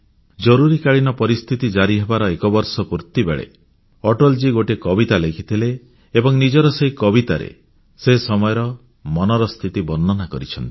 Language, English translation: Odia, After one year of Emergency, Atal ji wrote a poem, in which he describes the state of mind during those turbulent times